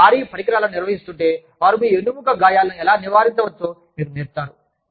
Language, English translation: Telugu, If you are handling heavy equipment, they could teach you, how to avoid injuries, to your back